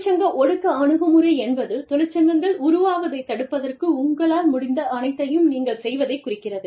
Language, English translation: Tamil, Union suppression approach refers to, you doing everything, in your capacity, to stop the formation of unions